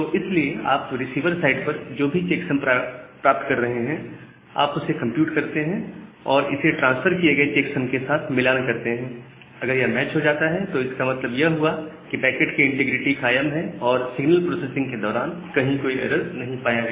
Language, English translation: Hindi, So, because of that so whatever checksum you are getting at the receiver side you compute the checksum value that has been transferred with the packet if they matches, that means, the packet integrity got fizz up, there was no such error that has been introduced during signal processing